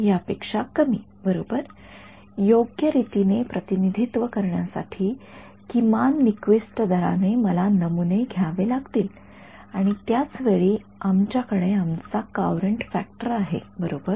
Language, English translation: Marathi, Less than this right I have to sample at least the Nyquist rate in order to correctly rep correctly represent this thing over here and at the same time we have our Courant factor right